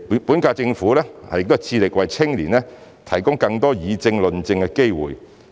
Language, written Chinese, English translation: Cantonese, 本屆政府致力為青年提供更多議政、論政的機會。, The current - term Government strives to provide more opportunities for young people to comment on and discuss politics